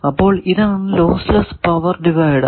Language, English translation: Malayalam, So, this is the lossless power divider